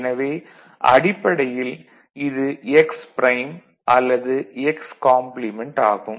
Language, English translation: Tamil, So, basically what you see here is x prime x complement